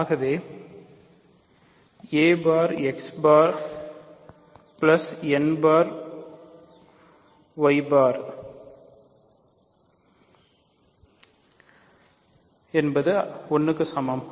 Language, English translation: Tamil, So, I have a bar x bar plus n bar y bar equals 1